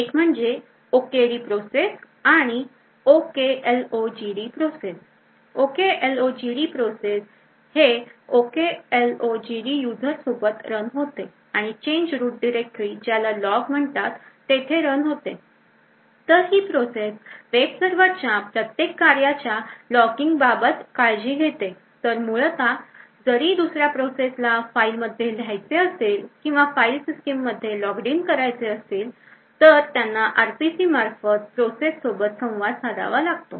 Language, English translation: Marathi, One is the OKD process and the OKLOGD process, the OKLOGD process runs with the user OKLOGD and in the change root directory called log, so this particular process takes a care of logging every activity of the web server, so in fact if other processes want to actually write to the file system or want to actually log something on the file system, it would actually communicate with the OKLOGD process through the RPC call